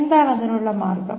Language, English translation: Malayalam, What is the way to do it